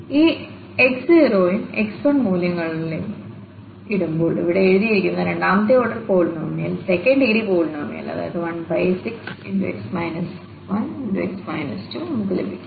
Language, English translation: Malayalam, So, putting all these values of x naught and x 1 we will get the second order polynomial, second degree polynomial which is written here, 1 by 6 x minus 1 and x minus 2